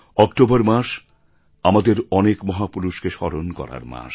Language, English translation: Bengali, The month of October is a month to remember so many of our titans